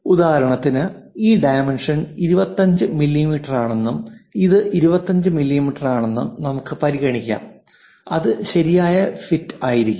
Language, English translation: Malayalam, For example, let us consider this dimension is 25 mm, this one 25 mm is correct fit